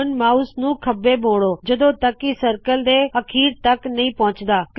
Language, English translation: Punjabi, Now turn the mouse to the left, until at the bottom of the circle